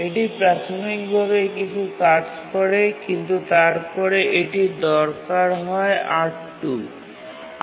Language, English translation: Bengali, It does some executions using R2, but then it needs R1